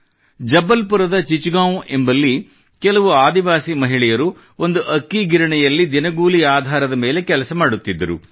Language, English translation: Kannada, In Chichgaon, Jabalpur, some tribal women were working on daily wages in a rice mill